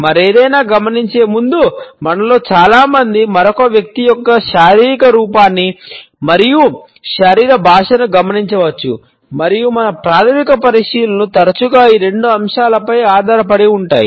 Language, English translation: Telugu, Most of us notice another person’s physical appearance and body language before we notice anything else and our primary considerations are often based on these two aspects